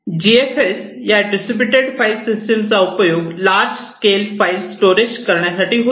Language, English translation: Marathi, So, GFS is a distributed file system that helps in supporting in the storing, storage of large scale files